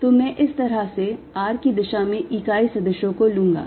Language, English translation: Hindi, r in unit vector r direction plus r times